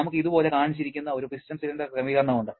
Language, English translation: Malayalam, We have a piston cylinder arrangement just shown like this